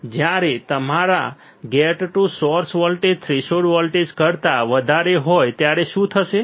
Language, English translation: Gujarati, When your gate to source voltage is greater than the threshold voltage what will happen